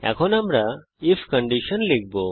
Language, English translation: Bengali, Now we shall write the if conditions